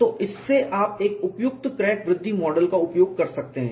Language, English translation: Hindi, So, from that you can use a suitable crack growth model